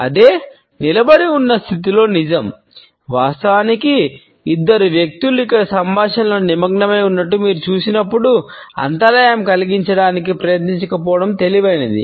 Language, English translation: Telugu, The same holds true in a standing position; in fact, when you see two people engaged in a conversation like these two here; it would be wise not to try to interrupt, you may end up embarrassing yourself